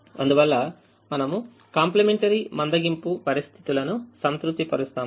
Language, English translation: Telugu, therefore we satisfy complimentary slackness conditions